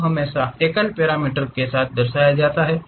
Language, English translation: Hindi, Curves are always be single parameter representation